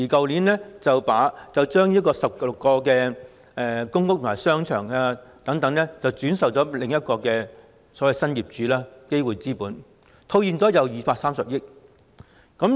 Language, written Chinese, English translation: Cantonese, 領展去年把16個公屋及商場轉售予新業主基匯資本，套現230億元。, Last year Link REIT sold 16 shopping arcades in PRH estates to the new owner namely GAW Capital Partners and cashed in 23 billion